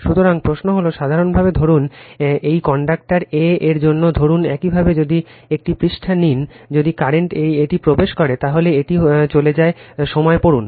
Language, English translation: Bengali, So, question is that generally suppose this is for conductor a, suppose if you take a page if the current is entering into this, then read as it is in leaving